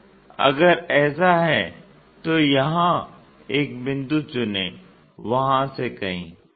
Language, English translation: Hindi, So, if that is the case pick a point here somewhere from there